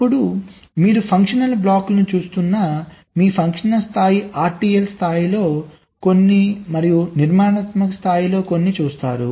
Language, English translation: Telugu, then your functional level, where you are looking a the functional blocks, some of the funtional blocks at the rtl level typically, then structural level, typically this works at the gate level